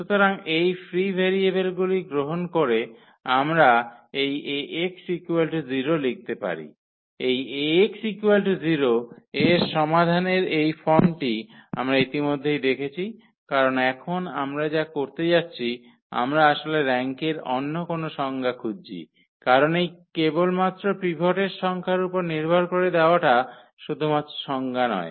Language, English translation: Bengali, So, taking this free variables we can write down this Ax is equal to 0, the solution of this Ax is equal to 0 in this form which we have already observed because now what we are going to do we are actually we are looking for the other definitions of the rank because that is not the only definition which we have given in terms of the number of pivots